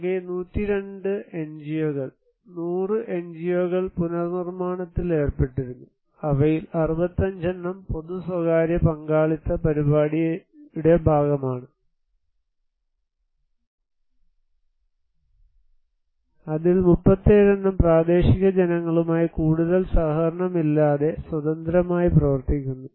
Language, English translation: Malayalam, So, total 102 NGOs; 100 NGO’s were involved working on reconstructions, 65 of them have been a part of “public private partnership” program and 37 out of them is working as independently without much collaborations with the local people